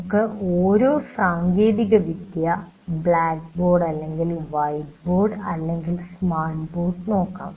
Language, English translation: Malayalam, Now let us look at each technology, blackboard or white board